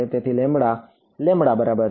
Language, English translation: Gujarati, So, lambda is equal to lambda naught by